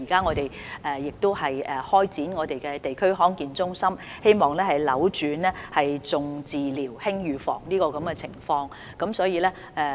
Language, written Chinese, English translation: Cantonese, 我們現已成立地區康健中心，希望扭轉"重治療，輕預防"的情況。, We have already set up a District Health Centre in the hope of reversing the over - emphasis on treatment and disregard for prevention